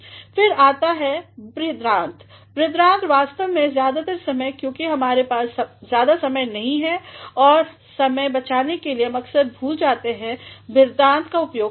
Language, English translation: Hindi, Next is colon; so, colon actually most of the time since we do not have much time and in order to save time we often forget to make use of a colon